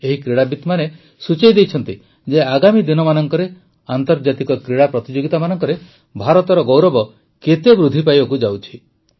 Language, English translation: Odia, With their hard work, these players have proven how much India's prestige is going to rise in international sports arena in the coming times